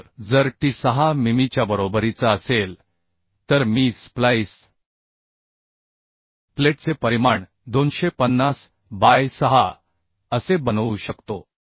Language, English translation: Marathi, So if t is equal to 6 mm then I can I can make make the splice plate dimension as 250 by 6 so provide 250 by 6 mm splice plate